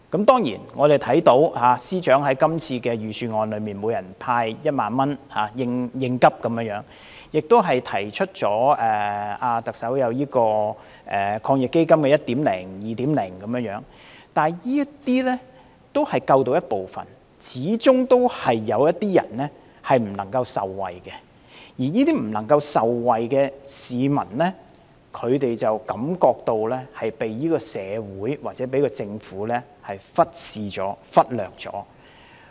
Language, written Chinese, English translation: Cantonese, 當然，我們看到司長在這次預算案中建議向每人派發1萬元應急，特首亦提出了第一及第二輪防疫抗疫基金，但這些只能救助部分人，始終有些人未能受惠，而未能受惠的市民便感到遭社會或政府忽視和忽略。, Certainly we can see the Secretarys proposal of a 10,000 handout to each person in the Budget to meet urgent needs and the first and second rounds of the Anti - epidemic Fund AEF proposed by the Chief Executive . However these measures can only help some people . There will always be people who cannot be benefited and thus feel neglected and overlooked by society or the Government